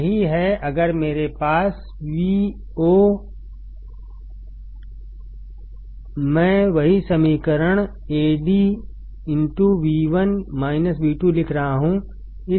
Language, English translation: Hindi, That is, if I have V o; I am writing the same equation Ad into V1 minus V2